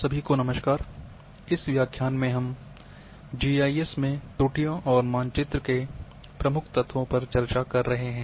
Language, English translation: Hindi, Hello everyone,in this lecture we are discussing errors in GIS and key elements of maps